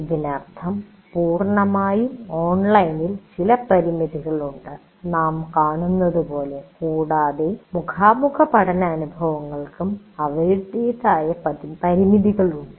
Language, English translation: Malayalam, That means fully online has some limitations as we will see and fully face to face learning experiences have their own limitations